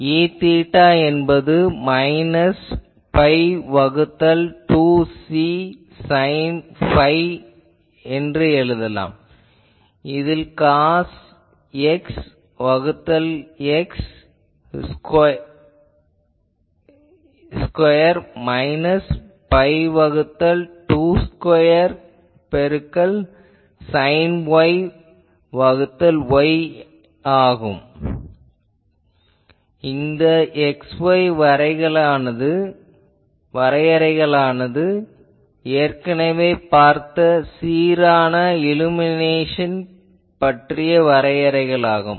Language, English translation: Tamil, So, E theta can be easily written as minus pi by 2 C sin phi only change here cos X by X square minus pi by 2 whole square into sin Y by Y; this X Y definitions already from that uniform illumination case the same definition